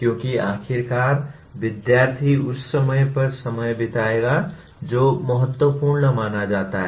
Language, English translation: Hindi, Because after all the student will spend time on what is considered important